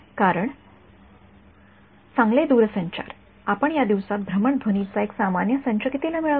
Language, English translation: Marathi, Because well telecom you how much you get an ordinary set of mobile phone for these days